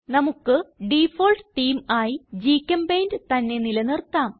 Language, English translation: Malayalam, Lets retain the Default Theme as GChemPaint